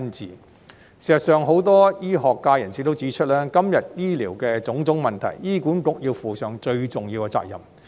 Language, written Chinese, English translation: Cantonese, 事實上，很多醫學界人士也指出，今天醫療的種種問題，醫管局要負上最重要的責任。, Actually many members of the medical sectors also pointed out that HA has to bear the greatest responsibility for the various healthcare problems today